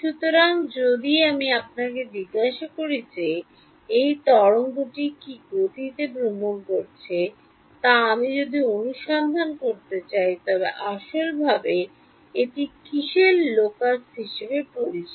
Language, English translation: Bengali, So, if I ask you if I want to find out at what speed is this wave travelling then what is that physically known as is the locus of